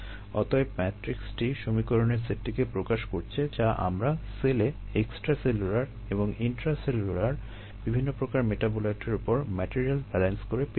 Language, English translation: Bengali, therefore, this matrix represents the set of equations that we got by doing material balances on the various metabolites, on the cell, extracellular and intracellular